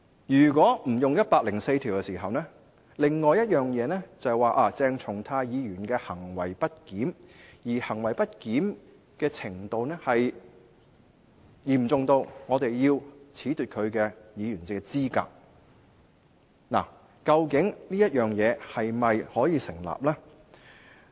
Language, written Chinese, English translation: Cantonese, 如果不引用《基本法》第一百零四條，另一種情況是鄭松泰議員行為不檢，而其行為不檢的程度嚴重至我們要褫奪其議員資格，究竟這做法是否成立呢？, If we do not invoke Article 104 of the Basic Law the other scenario would be misbehaviour on the part of Dr CHENG Chung - tai and such misbehaviour was so serious to the extent that we have to disqualify him from office